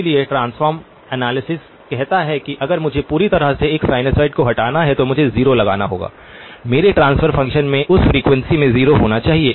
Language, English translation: Hindi, So transform analysis says that if I have to remove a sinusoid completely, I have to put a 0, my transfer function must have a 0 at that frequency